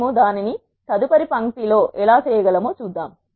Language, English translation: Telugu, Let us see how we can do that in the next line